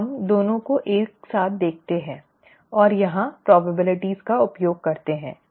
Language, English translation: Hindi, Now let us look at both of them together, okay, and use probabilities here